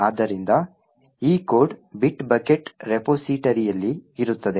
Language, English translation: Kannada, So, this code is present in the bit bucket repository